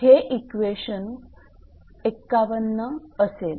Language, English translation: Marathi, So, this is equation 56